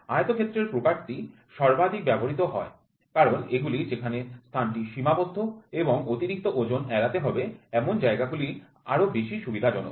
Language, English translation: Bengali, Rectangle type is the most commonly used since they are more convenient where space is restricted and excess weight is to be avoided